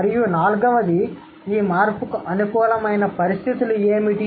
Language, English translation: Telugu, And fourth, what conditions favor this change